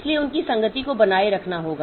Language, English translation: Hindi, So their concurrency to be maintained